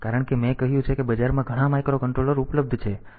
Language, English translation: Gujarati, I have said that there are several micro controllers available in the market